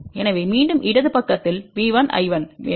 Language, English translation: Tamil, So, again we want V 1 I 1 on the left side